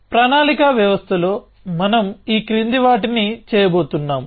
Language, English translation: Telugu, So, in planning systems we are going to do the following